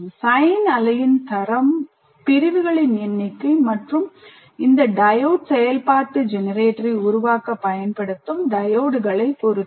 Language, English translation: Tamil, And if the quality of the sine wave that you produce will depend on the number of segments and the diodes that you use in creating this diode function generator